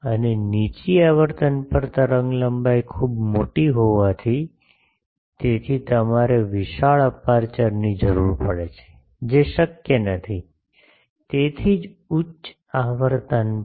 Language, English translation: Gujarati, And since the wavelengths are very large at low frequencies, so you require huge apertures, which is not possible; that is why at high frequencies